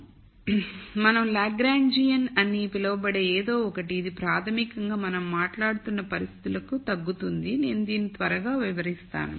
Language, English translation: Telugu, So, we de ne something called a Lagrangian, which basically will boil down to the kind of conditions that we have been talking about I will explain this quickly